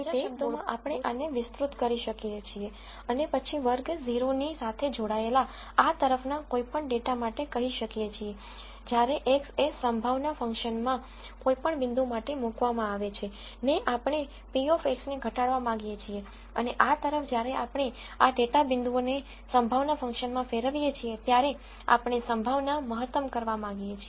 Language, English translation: Gujarati, So, in other words we can paraphrase this and then say for any data point on this side belonging to class 0, we want to minimize p of x when x is substituted into that probability function and, for any point on this side when we substitute these data points into the probability function, we want to maximize the probability